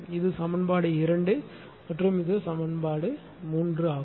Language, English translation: Tamil, This is equation 2 and this is equation 3